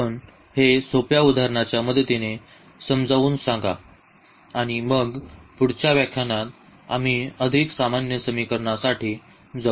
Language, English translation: Marathi, Let us explain this with the help of simple example and then perhaps in the next lecture we will go for more general problems